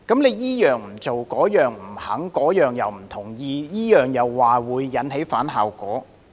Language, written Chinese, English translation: Cantonese, 他這樣不做，那樣不肯、不同意，又說會引起反效果。, He does not do this but refuse to do that; he disagrees with one suggestion but says that the other is counterproductive